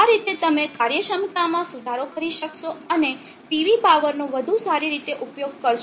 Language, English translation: Gujarati, In this way you will be improving the efficiency and get the better utilization of the PV power